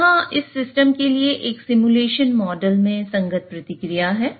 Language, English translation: Hindi, So, here is the corresponding response in a simulation model for this system